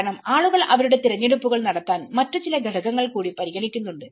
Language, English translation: Malayalam, Because there are certain other factors also people tend to make their choices